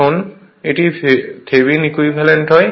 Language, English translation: Bengali, Now, it is that Thevenin equivalent